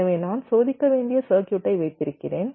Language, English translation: Tamil, it looks like this: so i have my circuit under test, which i want to test